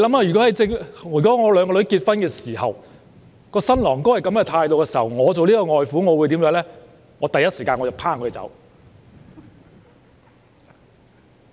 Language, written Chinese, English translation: Cantonese, 如果我的兩個女兒在結婚時，她們的新郎持有這種態度，我作為外父會第一時間趕他們走。, If my two daughters get married and their grooms adopt such an attitude I being the father - in - law will immediately kick them out